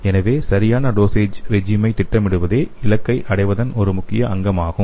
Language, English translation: Tamil, So the design of proper dosage regimen is an important element in achieving this goal